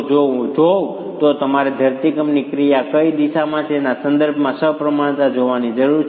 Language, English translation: Gujarati, If I were to look at you need to look at the symmetry with respect to the direction in which the earthquake action is